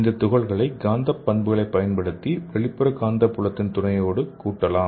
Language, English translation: Tamil, So using these magnetic properties, we can assemble these using the external magnetic fields